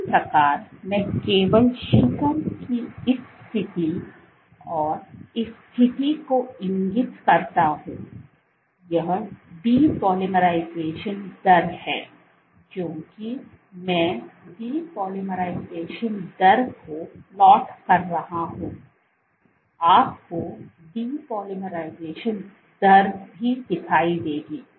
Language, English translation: Hindi, Similarly, let me just point out this position of peak and this position, that depolymerization rate, because I am plotting the depolymerization rate you will see that the depolymerization rate also